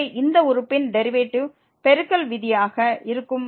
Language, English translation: Tamil, So, the derivative of this term will be the product rule will be applicable here